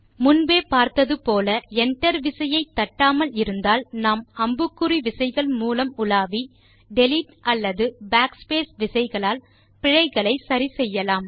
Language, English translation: Tamil, As already shown, if we havent hit the enter key already, we could navigate using the arrow keys and make deletions using delete or backspace key and correct the errors